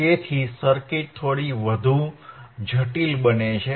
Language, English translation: Gujarati, So, circuit becomes little bit more complex